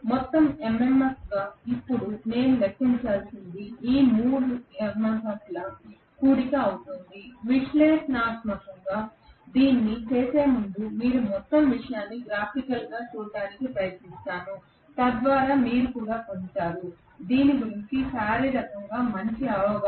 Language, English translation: Telugu, Now what I have to calculate as the overall MMF will be the summation of all these 3 MMFs, before doing this analytically let me try to look at the whole thing graphically so that you also get a better understanding physically of this right